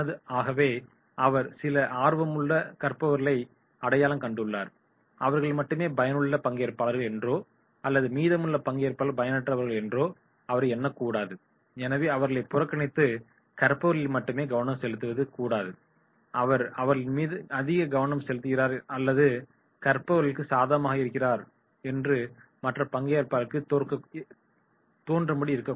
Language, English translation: Tamil, So he should not appear that yes he has identified some learners and they are the useful participants, rest of the participants are useless and therefore ignoring them and focusing on learners only but this should not be done, he should not appear that he is giving more attention or favouring to the learners